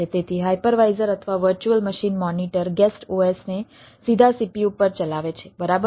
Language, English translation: Gujarati, so a hypervisor or a virtual machine monitor runs the guest os directly on the cpu, right